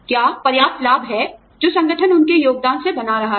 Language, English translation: Hindi, Is there a substantial profit, that the organization is making, out of their contributions or not